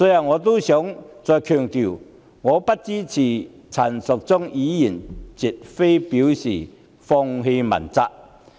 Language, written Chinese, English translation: Cantonese, 我想再強調，我不支持陳淑莊議員的議案，絕非表示放棄問責。, I wish to reiterate that my opposition to Ms Tanya CHANs motion does not mean giving up the pursuit of accountability